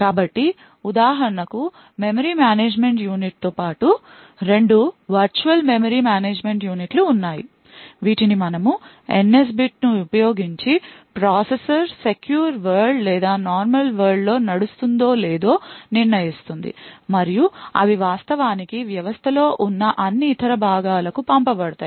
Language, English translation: Telugu, So for example there are two virtual memory management units that are present in addition to the memory management unit which we have seen the NS bit which determines whether the processor is running in secure world or normal world and they actually sent to all other components present in the system